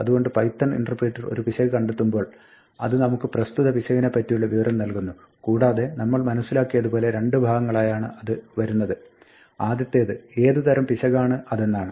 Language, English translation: Malayalam, So, when the python interpreter detects an error it gives us information about this error and as we saw it comes in two parts, there is the type of the error give what kind of error it is